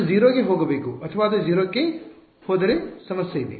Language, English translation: Kannada, It should go to 0 or well if it goes to 0 there is a problem